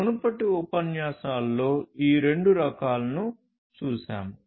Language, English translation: Telugu, We have seen both of these types in the previous lectures